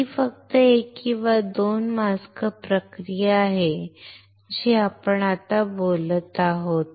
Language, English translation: Marathi, This is just a 1 or 2 masks process what we are talking now